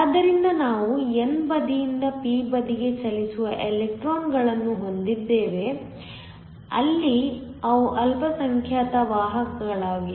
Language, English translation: Kannada, So, we have electrons from the n side moving to the p side where they are minority carriers